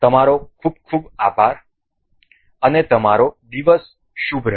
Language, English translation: Gujarati, Thank you very much and have a good day